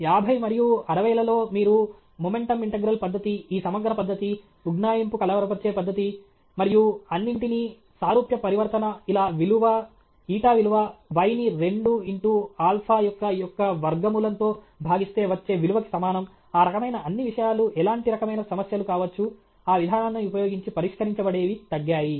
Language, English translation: Telugu, In the fifties and sixties, you can do momentum integral method, this integral method, approximation perturbation method and all that, similarity transformation, eta is equal to y by two root alpha t all that kind of things the kind of problems which can be solved using that approach they have come down